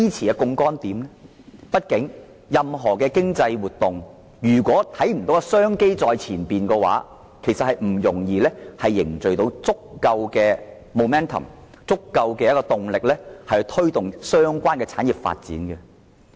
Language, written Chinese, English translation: Cantonese, 如果看不到任何經濟活動出現商機在前方的情況，便難以凝聚足夠的動力，以推動相關的產業發展。, If we cannot see any economic activities generating business opportunities ahead we can hardly garner enough momentum to take forward the development of relevant industries